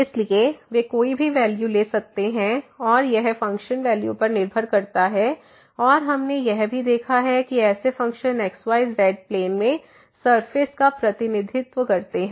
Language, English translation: Hindi, So, they can take any values and this that depends on the value of the I mean this functional value here and we have also seen that such functions represent surface in the xyz plane